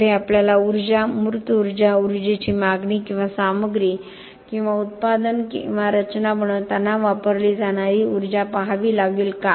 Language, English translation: Marathi, Next, we have to look at energy, embodied energy, energy demand or energy consumed in making a material or a product or a structure, why